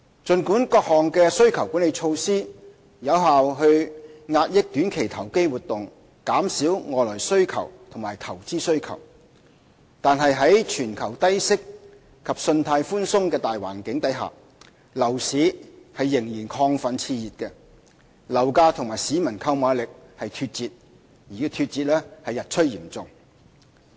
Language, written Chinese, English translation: Cantonese, 儘管各項需求管理措施有效遏抑短期投機活動，並減少外來需求和投資需求，但在全球低息及信貸寬鬆的大環境下，樓市仍然亢奮熾熱，樓價與市民的購買力脫節，情況日趨嚴重。, While the various demand - side management measures have effectively curbed short - term speculative activities and reduced external and investment demands against the global backdrop of low interest rates and credit easing the property market has remained exuberant and heated . Property prices have gone far beyond the purchasing power of members of the public and the problem has become increasingly serious